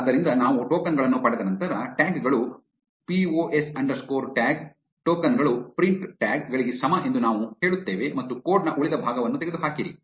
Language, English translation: Kannada, So, after we have obtained the tokens, we say tags is equal to pos underscore tag, tokens, print tags and remove the remaining part of the code